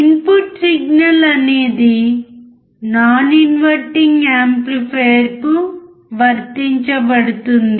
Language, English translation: Telugu, Input signal is applied to the non inverting amplifier